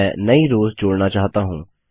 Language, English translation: Hindi, I wish to add new rows